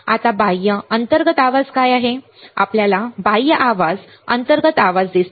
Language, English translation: Marathi, Now, what are external, internal noise, you see external noise internal noise